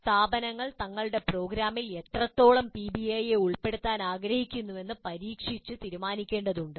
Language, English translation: Malayalam, Institutes need to experiment and decide on the extent to which they wish to incorporate PBI into their programs